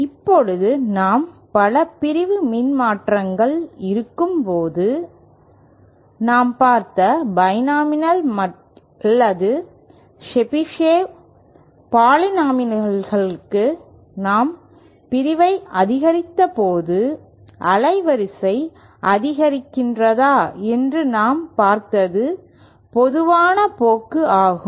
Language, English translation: Tamil, Now we saw that when we have multi section transformers, both for the binomial or the Chebyshev polynomials that we have considered the bandwidth increases when we increased the section that is the general trend that we saw